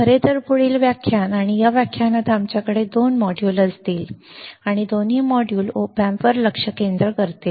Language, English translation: Marathi, So, next lecture in fact, and in this lecture we have we will have two modules; and both the modules will focus on op amps all right